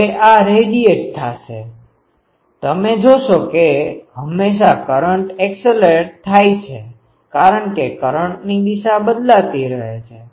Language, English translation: Gujarati, Now, this one will radiate because you see always the current is accelerating because the direction of the current is changing